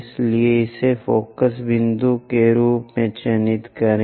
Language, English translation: Hindi, So, mark this one as focus point